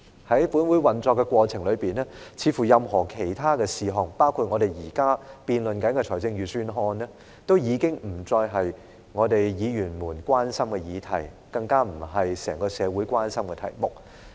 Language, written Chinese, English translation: Cantonese, 在本會的運作過程中，似乎任何其他事項，包括我們現正辯論的預算案，都已不是議員們關注的議題，更不是整個社會關心的題目。, In the course of this Councils operation it seems that any other matters including the Budget that we are debating is no longer a subject of concern to Members much less a topic of interest to society as a whole